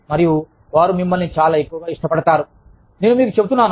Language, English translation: Telugu, And, they will like you, much more, i am telling you